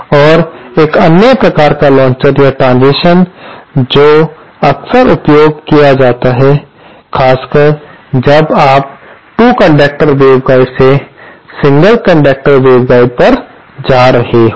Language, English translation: Hindi, And one another type of launcher or transition that is frequently used, especially when you are going from 2 conductor waveguide to a single conductor waveguide